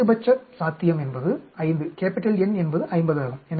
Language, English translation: Tamil, The maximum that is possible is 5, the N is 50